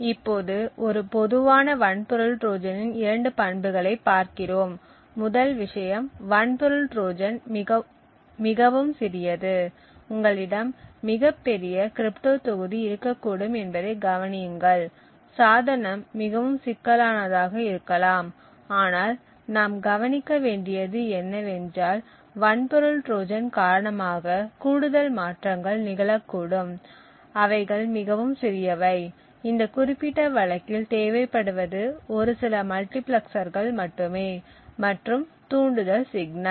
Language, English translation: Tamil, Now we look at two properties of a typical hardware Trojan, the first thing is that the hardware Trojan is extremely small, notice that you could have a very large crypto module and the device could be extremely complex but what we notice is that the additional modifications due to the hardware Trojan is extremely small all that is required is just a few multiplexers in this particular case and a trigger signal